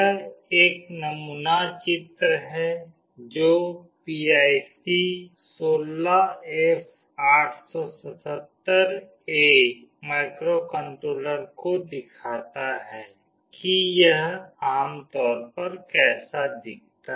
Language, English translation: Hindi, This is a sample diagram showing PIC 16F877A microcontroller this is how it typically looks like